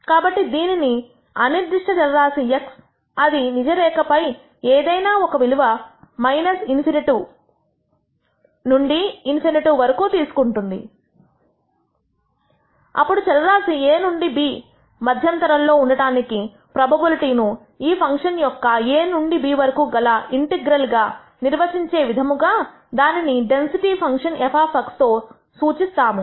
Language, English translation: Telugu, So, let us call this random variable x which can take any value in the real line from minus in nity to in nity, then we de ne the density function f of x, such that the probability that the variable lies in an interval a to b is de ned as the integral of this function from a to b